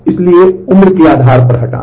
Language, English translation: Hindi, So, deleting based on age